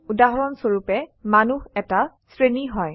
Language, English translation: Assamese, For example human being is a class